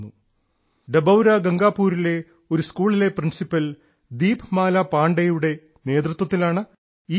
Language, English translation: Malayalam, This campaign is being led by the principal of a school in Dabhaura Gangapur, Deepmala Pandey ji